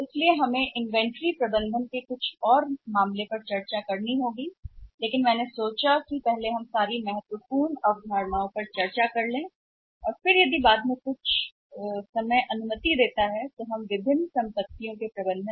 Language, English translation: Hindi, So, we have to discuss certain cases about the inventory management but I thought that first of all we should do all the important concepts and if the time permits later on that we can discuss some cases also with regard to the management of different assets